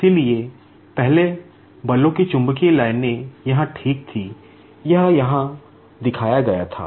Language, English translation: Hindi, So, previously the magnetic lines of forces were here ok; it was shown here